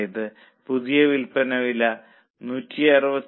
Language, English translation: Malayalam, That means new selling price is 167